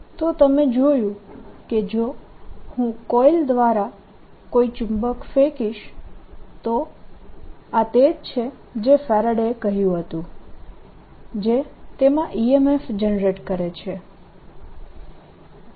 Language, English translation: Gujarati, so this is a first that you have seen that if i throw a magnet through a coil this is which is what faraday did that produces an e m f in that